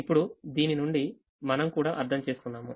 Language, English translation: Telugu, now, from this we also understand that, since the now